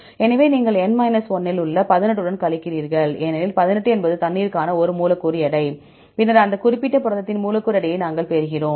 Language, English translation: Tamil, So, you subtract with the 18 in the N 1 because 18 is a molecular weight for water and then we get the molecular weight of that particular protein, fine